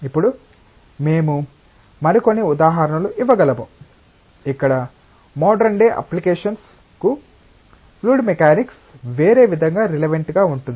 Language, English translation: Telugu, Now, we can give some more examples, where fluid mechanics in a different way is relevant for modern day applications